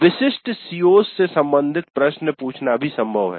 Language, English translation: Hindi, Then it is also possible to ask questions related to specific COs